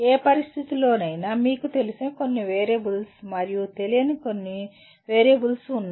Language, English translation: Telugu, That means in any situation you have some known variables and some unknown variables